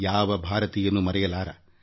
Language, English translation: Kannada, No Indian can ever forget